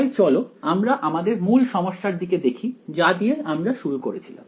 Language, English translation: Bengali, So, let us go back to the very original problem that we started with further for